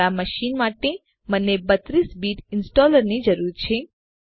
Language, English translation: Gujarati, For my machine, I need 32 Bit installer